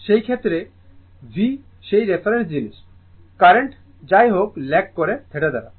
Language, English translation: Bengali, In that case also V is that reference thing , current anyway lagging by theta